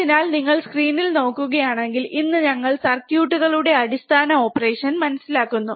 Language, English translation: Malayalam, So, if you look at the screen, today we are understanding the basic op amp circuits